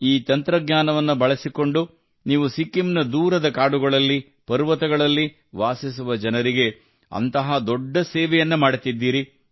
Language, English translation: Kannada, By using this technology, you are doing such a great service to the people living in the remote forests and mountains of Sikkim